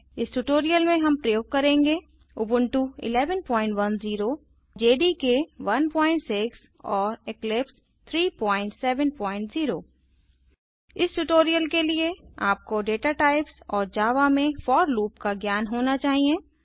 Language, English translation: Hindi, For this tutorial we are using Ubuntu 11.10 JDK 1.6 and Eclipse 3.7.0 For this tutorial, you should have knowledge of data types and for loop in Java